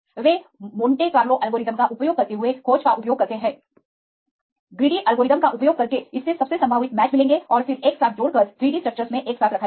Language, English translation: Hindi, They use the search using Monte Carlo algorithm right using the greedy algorithm it will find most probable matches and then combine together and put it together in the 3D structures